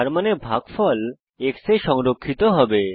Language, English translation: Bengali, That means the quotient will be stored in x